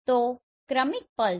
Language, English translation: Gujarati, So the successive pulses